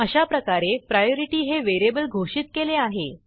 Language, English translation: Marathi, So we have declared the variable priority